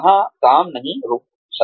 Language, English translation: Hindi, The work cannot stop there